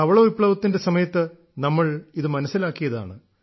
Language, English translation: Malayalam, The country has experienced it during the white revolution